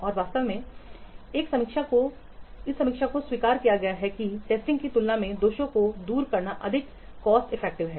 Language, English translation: Hindi, And in fact, review has been acknowledged to be more cost effective in removing the defects as compared to testing